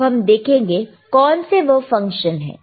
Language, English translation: Hindi, So, let us see what are the functions